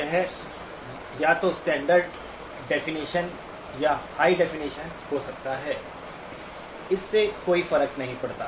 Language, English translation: Hindi, It could be either standard definition or high definition, does not matter